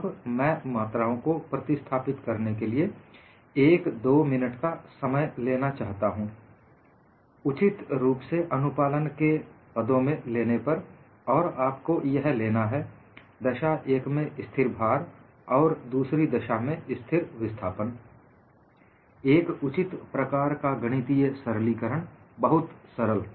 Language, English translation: Hindi, Now, I would like you to take a minute or two in replacing the quantities here, in terms of the compliance suitably, and you have to bring in, in one case constant load, in another case constant displacement; a suitable kind of mathematical simplifications; fairly simple